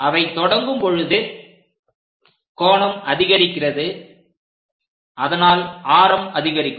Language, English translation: Tamil, They begin as angle increases the radius also increases